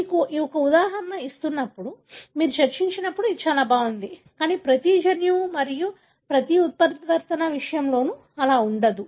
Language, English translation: Telugu, So, when you have an example, when you discuss it looks so nice, but it is not the case for every gene and, and every mutation